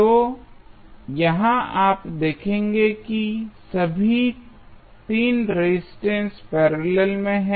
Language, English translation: Hindi, So, here you will see all the 3 resistances are in parallel